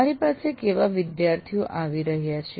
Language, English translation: Gujarati, What kind of students are coming to me